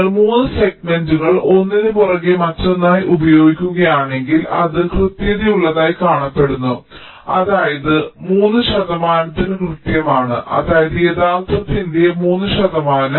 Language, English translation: Malayalam, ok, so if you use three segments, one followed by another, followed by other, that is seen to be accurate enough, which is means three accurate to three percent, that is, three percent of the actual